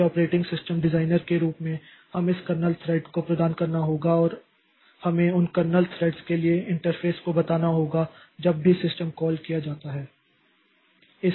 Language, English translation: Hindi, So as an operating system designer, so we have to provide this kernel threads and we have to tell interface for those kernel threads